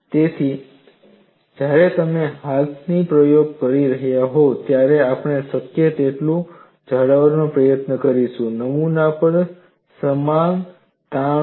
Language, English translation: Gujarati, So, when you are doing the experiment by hand, we will try to maintain as much as possible, there is uniform stress on the specimen